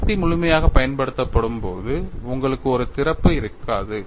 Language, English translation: Tamil, When the force is applied fully, you will not have opening; it is closed